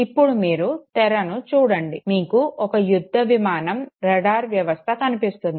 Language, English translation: Telugu, Now look at the screen, you see our fighter aircraft, the radar system okay